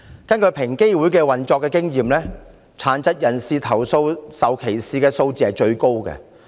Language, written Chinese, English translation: Cantonese, 根據平機會的經驗，殘疾人士投訴受歧視的數字最高。, According to the experience of EOC persons with disabilities have made the largest number of complaints against discrimination